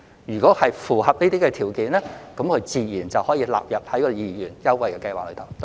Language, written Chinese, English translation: Cantonese, 如果符合這些條件，自然可獲納入二元優惠計劃。, If all the conditions can be met they will naturally be included in the 2 Scheme